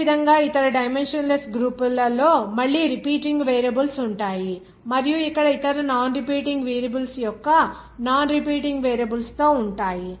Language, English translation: Telugu, Similarly, other dimensionless groups again that repeating variables will be there and with non repeating variables of other non repeating variables here miu